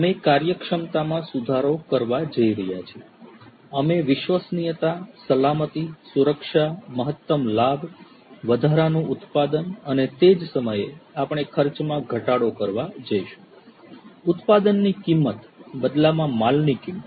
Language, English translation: Gujarati, We are going to improve efficiency; we are going to increase the reliability, safety, security; maximize the profit, maximize production and at the same time, we are going to slash the cost; the cost of production, the cost of manufacturing, the cost of the goods in turn